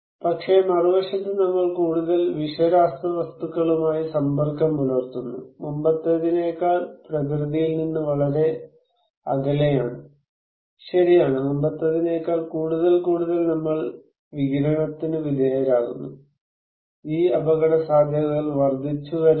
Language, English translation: Malayalam, But, on the other hand, we are more exposed to toxic chemicals and we are far away from nature than before, right, we are more and more exposed to radiation than before so, these risks are increasing